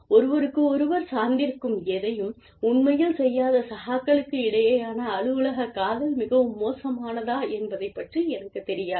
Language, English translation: Tamil, Whether, office romance between peers, who are not really doing anything, that is interdependent, is so bad